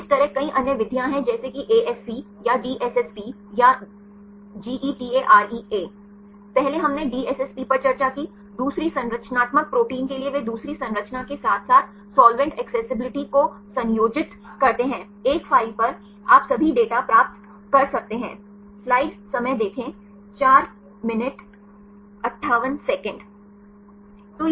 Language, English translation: Hindi, Likewise there are several other methods like ASC or DSSP or GETAREA, ealier we discussed the DSSP for the second structural proteins they combine the second structure as well as solvent accessibility, at the one file you can get all the data